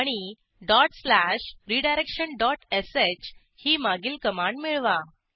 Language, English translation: Marathi, Type dot slash redirection dot sh Press Enter